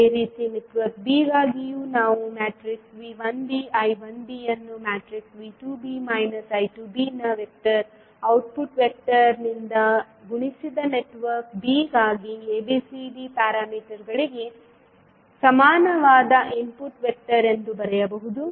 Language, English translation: Kannada, Similarly, for network b also we can write V 1b I 1b as an input vector equal to ABCD parameters for network b multiplied by vector output vector of V 2b and minus I 2b